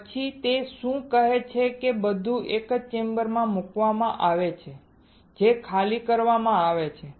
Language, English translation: Gujarati, Then what it says that everything is placed in a chamber which is evacuated right